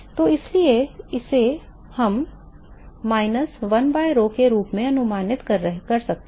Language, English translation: Hindi, So, therefore, we can approximate this as minus 1 by rho